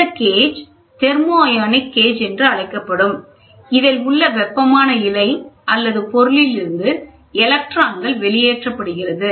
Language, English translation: Tamil, The gauge is also known as thermionic gauge as electrons are emitted from the heated filament, this is a filament or substance